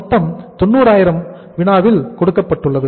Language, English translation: Tamil, Total is 90,000 given in the problem